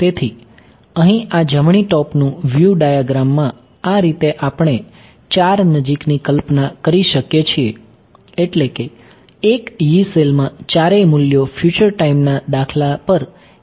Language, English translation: Gujarati, So, these in this right top view diagram over here these are sort of we can imagine four nearest I mean in one Yee cell all the four values are involved in calculating H at a future time instance right